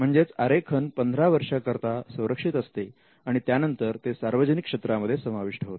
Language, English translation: Marathi, So, there can be a total protection of 15 years, and after which the design falls into the public domain